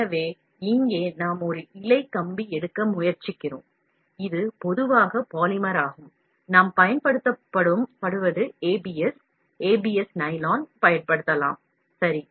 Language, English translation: Tamil, So, here we try to take a filament wire, which is polymer generally, what we use is ABS; ABS nylon can be used, ok